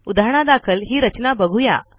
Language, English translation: Marathi, For example this is the structure